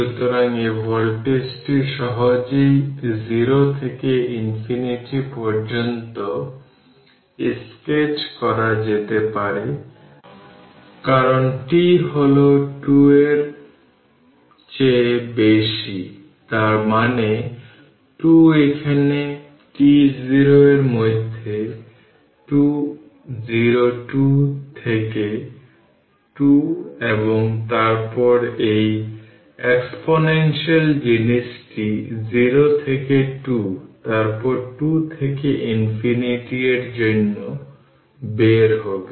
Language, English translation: Bengali, So, this voltage you can easily sketch right from you can sketch from 0 to infinity, because t greater than 2; that means, in between 2 t 0 2 here what you call the 2 0 2 to 2 and then this exponential thing for 0 to 2 to infinity right when you when you put later will see this